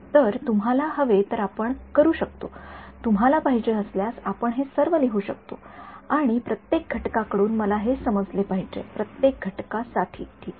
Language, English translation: Marathi, So, if you want we can; if you want we can write it all down should I understood right from each and so on, for each component fine